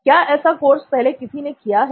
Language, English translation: Hindi, Has anybody done work like this before